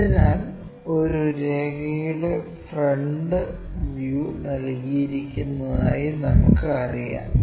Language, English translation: Malayalam, So, what we know is front view of a line is given